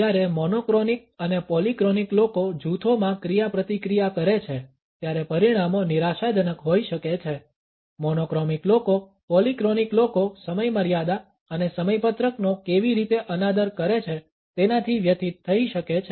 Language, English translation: Gujarati, When monochronic and polyphonic people interact in groups the results can be frustrating, monochromic people can become distressed by how polyphonic people seem to disrespect deadlines and schedules